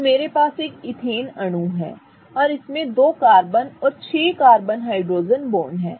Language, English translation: Hindi, So, I have an ethane molecule and it has two carbons and six carbon hydrogen bonds